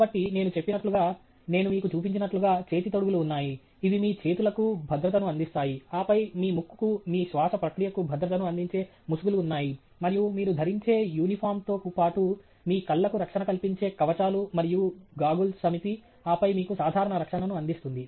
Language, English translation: Telugu, So, as I mentioned, as I have just shown you, there are a set of gloves which handle, which provide safety for your hands, and then, there are masks which provide safety for your nose, for your breathing process, and there are set of shields and goggles which provide protection for your eyes, in addition to the uniform that you wear, which then provides you with general protection